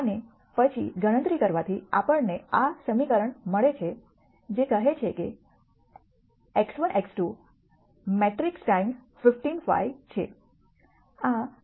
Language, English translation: Gujarati, And then doing the calculation gives us this equation which says x 1 x 2 is a matrix times 15 5